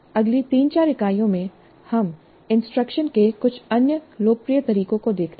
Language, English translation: Hindi, In the next three, four units, we look at some other popular approaches to the instruction